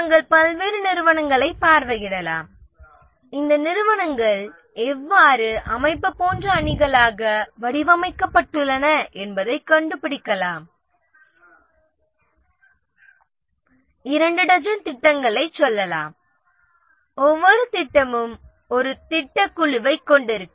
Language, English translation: Tamil, You can visit various companies and find how are these companies they have structured into teams like organization might be having let's say two dozen projects